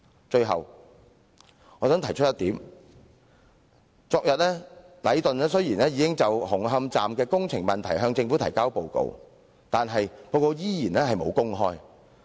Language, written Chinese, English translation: Cantonese, 最後我想提出一點，禮頓雖然已在昨天就紅磡站工程問題向政府提交報告，但報告卻未有公開。, Finally I would like to mention one point . Although Leighton submitted a report to the Government on the works problems of Hung Hom Station yesterday the report has not been made public